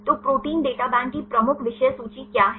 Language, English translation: Hindi, So, what are the major contents of Protein Data Bank